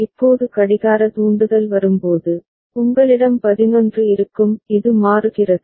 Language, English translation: Tamil, Now when the clock trigger comes, you will have 11 it toggles